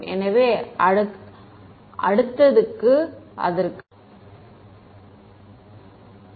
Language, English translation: Tamil, So, we will come to that in subsequent